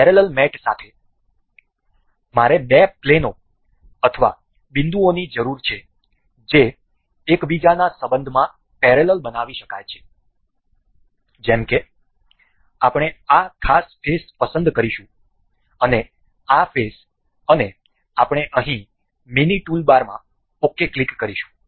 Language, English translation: Gujarati, With parallel mate I need two planes or vertex can be made parallel in relation to each other such as we will select this particular face and say this particular face and we will click we can click ok in the mini toolbar here as well